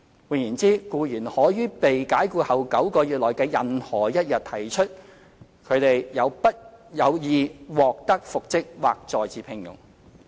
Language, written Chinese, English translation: Cantonese, 換言之，僱員可於被解僱後9個月內的任何一天提出他/她有意獲得復職或再次聘用。, In other words an employee may make hisher wish to be reinstated or re - engaged known on any day within nine months after the dismissal